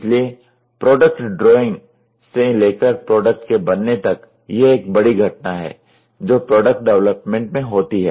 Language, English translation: Hindi, So, releasing of the product drawing to the manufacturing is a big event which happens in product development